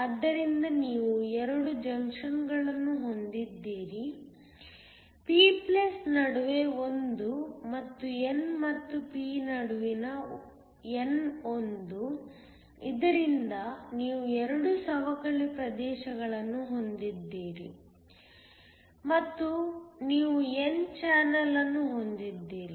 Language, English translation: Kannada, So you have 2 junctions, one between the p+ and the n one between the n and p, so that you have 2 depletion regions and you have an n channel